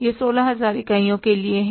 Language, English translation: Hindi, This is for the 16,000 units